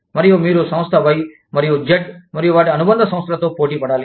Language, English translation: Telugu, And, you will need to compete with, Firm Y, and Z, and their subsidiaries